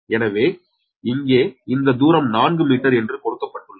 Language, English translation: Tamil, so here to here distance is given your four meter right, this distance is given